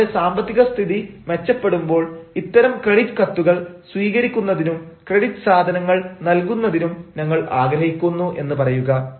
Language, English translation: Malayalam, when our financial conditions become sound, we will look forward to receiving such credit letters and providing a things on credit